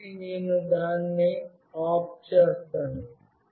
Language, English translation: Telugu, So, I will make it OFF ok